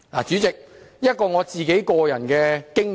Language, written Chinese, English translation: Cantonese, 主席，談談我的個人經驗。, President let me talk about my personal experience